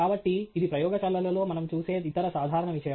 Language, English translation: Telugu, So, thatÕs the other common thing that we see in labs